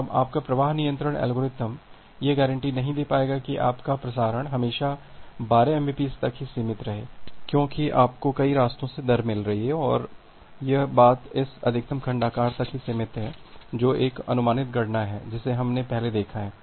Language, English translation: Hindi, Now, your flow control algorithm will not be able to guarantee that your transmission is always restricted to 12 mbps because you are getting the rate from multiple paths and the thing is restricted to this maximum segment size that is an approximate calculation that we have looked earlier